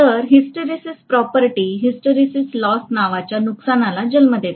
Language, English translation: Marathi, So this hysteresis property gives rise to a loss called hysteresis loss